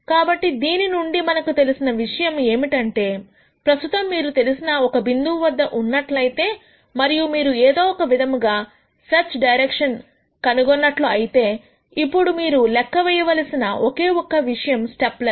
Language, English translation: Telugu, So, the key take away from this is that if you are at a current point which you know and if you somehow gure out a search direction, then the only thing that you need to then calculate is the step length